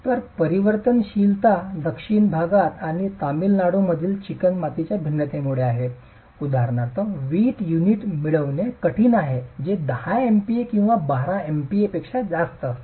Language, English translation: Marathi, So, the variability is because of the variability of clay in South India and Tamil Nad for example, it is difficult to get brick units which are more than 10 MPA or 12 MP